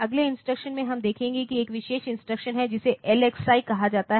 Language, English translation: Hindi, So, the next instruction that we will look into is a special instruction which is called LXI